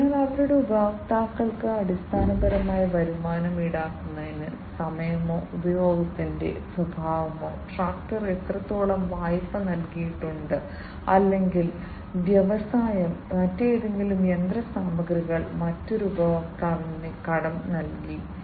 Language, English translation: Malayalam, So, their customers are basically charged with the revenues based on the time or the nature of the usage, how much duration the tractor has been lent or any other machinery by the industry, has been lent to another customer